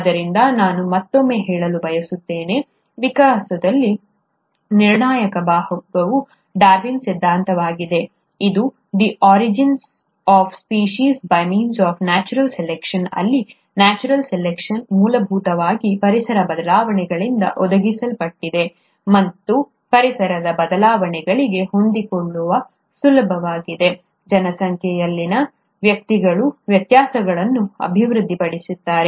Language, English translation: Kannada, So, I would like to again say, that the crucial part in evolution has been the theory of Darwin, which is the ‘Origin of Species by means of Natural Selection’, where the natural selection is essentially provided by the environmental changes; and in order to adapt to the environmental changes, individuals in a population will develop variations